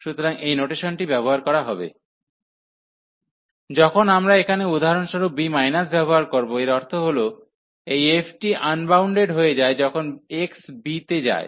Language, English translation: Bengali, So, this will be the notation use, when we used here b minus for example that means this f becomes unbounded, when x goes to b